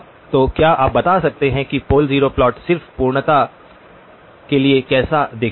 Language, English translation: Hindi, So can you tell you what the pole zero plot looks like just for completeness